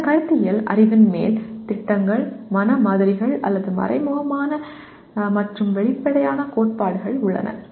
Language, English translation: Tamil, On top of that conceptual knowledge includes schemas, mental models, or implicit and explicit theories